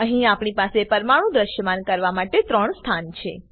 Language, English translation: Gujarati, Here we have 3 positions to display atoms